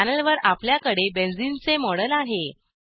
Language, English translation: Marathi, We have a model of benzene on the panel